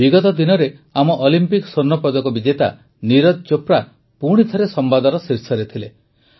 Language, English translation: Odia, Recently, our Olympic gold medalist Neeraj Chopra was again in the headlines